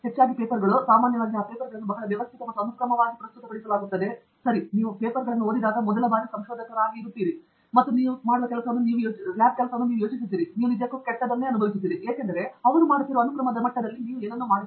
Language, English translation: Kannada, Often those papers are, in fact, not often, always those papers are presented in a very systematic and sequential manner, ok so and as a first time researcher when you read those papers, and you think of the work that you are doing in the lab, you really feel bad because you are not doing anything in that level of sequence at which they are doing it